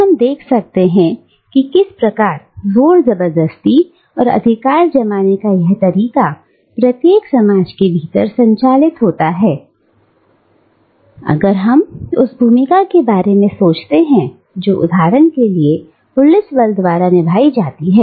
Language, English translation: Hindi, And, we can see, how this form of asserting and exerting authority operates within a society, if we think of the role that the police force, for instance, plays